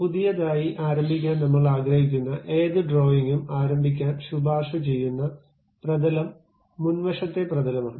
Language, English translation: Malayalam, Any drawing we would like to begin as a new one the recommended plane to begin is front plane